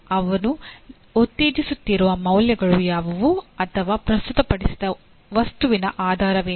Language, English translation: Kannada, What are the values he is promoting or what is the intent underlying the presented material